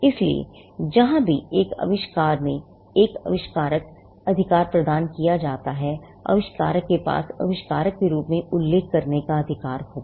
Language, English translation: Hindi, So, wherever an inventor assigns the right in an invention, wherever an inventor assigns the right in an invention, the inventor will still have the right to be mentioned as the inventor